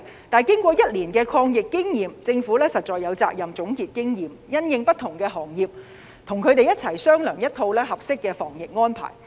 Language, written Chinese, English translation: Cantonese, 但是，經過1年抗疫經驗，政府實在有責任總結經驗，因應不同行業跟業界商量一套合適的防疫安排。, However after obtaining a years experience in combating the pandemic the Government is duty - bound to consolidate the experience and discuss with various sectors in order to formulate a new set of anti - pandemic arrangements which are suitable for different industries